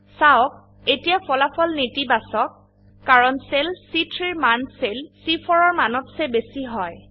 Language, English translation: Assamese, Note, that the result is now Negative, as the value in cell C3 is greater than the value in cell C4